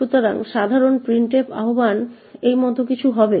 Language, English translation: Bengali, So, typical printf invocation would look something like this